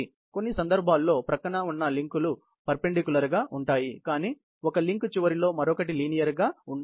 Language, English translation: Telugu, In some cases, adjoining links are perpendicular, but one link slides at the end of other again linearly